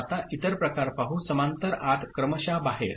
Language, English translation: Marathi, Now, let us look at the other variety parallel in serial out ok